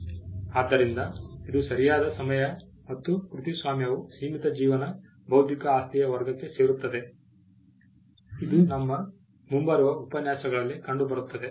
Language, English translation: Kannada, So, it is the time bound right and copyright will fall within the category of limited life intellectual property, a concept which will be seen in our forthcoming lectures